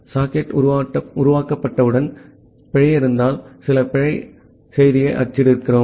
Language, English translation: Tamil, Then once the socket is created, if there is an error, we print some error message